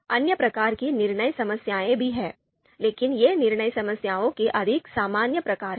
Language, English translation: Hindi, There are other types of decision problems as well, but these are the more common types of decision problems